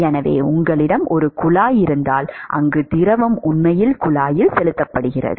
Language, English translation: Tamil, So, supposing if you have a pipe where the fluid is actually pumped into the pipe